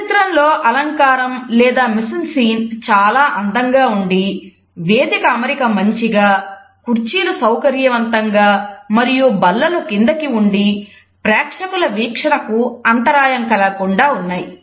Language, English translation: Telugu, In this image we find that the decor or the mise en scene is very nicely done there is a nice stage setting there are comfortable chairs, there are low tables so, that the view with the audience is not obstructed